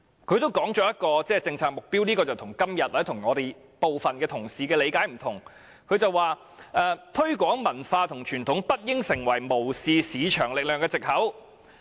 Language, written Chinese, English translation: Cantonese, 然而，該份文件同時提出另一些原則，與今天或部分同事的理解不同："推廣文化和傳統不應成為無視市場力量的藉口。, However the paper also contains other principles which are different from the understanding of some colleagues today ie . the promotion of culture and tradition should not be an excuse to justify insulation from market forces